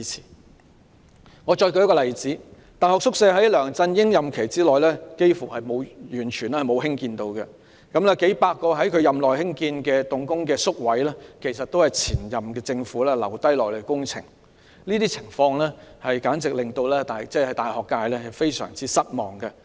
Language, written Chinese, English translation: Cantonese, 讓我再舉一個例子，在梁振英擔任行政長官的任期內幾乎完全沒有興建大學宿舍，數百個在他任內興建動工的宿位其實也是前任政府遺留下來的工程，令大學界非常失望。, Let me cite another example . When LEUNG Chun - ying was the Chief Executive almost no additional university quarters were built during his tenure . The several hundred quarter places completed in his tenure were actually construction projects initiated by his predecessors a great disappointment to the university sector